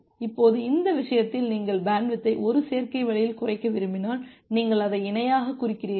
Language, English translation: Tamil, Now at this case if you want to decrease the bandwidth in a additive way, you just decrease it parallelly